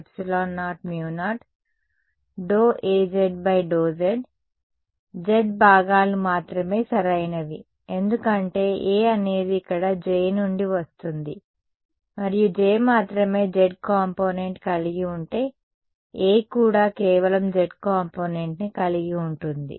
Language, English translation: Telugu, A is only in the z direction right; so, A is a the vector A we has which components, only the z components right because A is coming from J over here and if J has only a z component, A will also have just a z component right